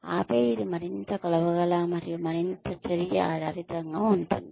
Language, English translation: Telugu, And then, it will be more measurable, and more action oriented